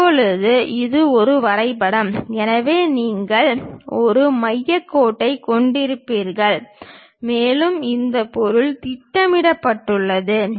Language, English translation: Tamil, Now this one maps on to that; so, you will be having a center line and this material is projected